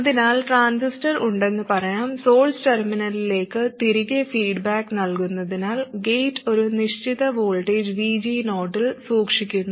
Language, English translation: Malayalam, So let's say we have the transistor and because we are feeding back to the source terminal, we keep the gate at a fixed voltage VG 0